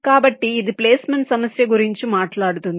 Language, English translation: Telugu, so this is what the placement problem talks about now